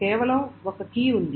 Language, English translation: Telugu, This is not a search key